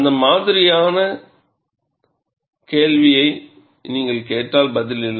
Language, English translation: Tamil, If you ask that kind of a question the answer is, no